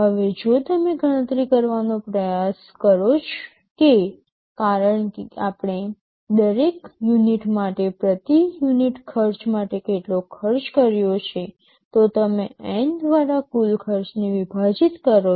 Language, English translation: Gujarati, Now, if you try to calculate how much cost we have incurred for every unit, the per unit cost, you divide the total cost by N